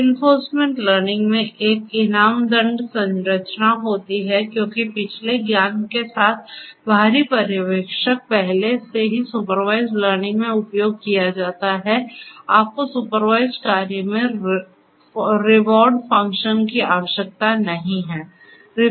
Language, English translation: Hindi, In reinforcement learning there is a reward penalty structure that has to be in place whereas, because the external supervisor with previous knowledge is already used in supervised learning you do not need a reward function in supervised